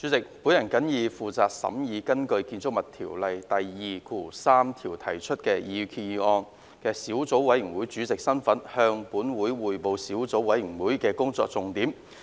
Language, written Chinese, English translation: Cantonese, 主席，我謹以負責審議根據《建築物條例》第23條提出的擬議決議案的小組委員會主席身份，向本會匯報小組委員會的工作重點。, President in my capacity as the Chairman of the Subcommittee on Proposed Resolution under section 23 of the Buildings Ordinance Cap . 123 I report to the Legislative Council on the salient points of the work of the Subcommittee